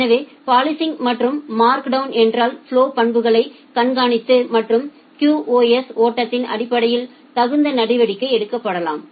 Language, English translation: Tamil, So, policing and markdown means monitor the flow characteristics and take appropriate action based on the flow QoS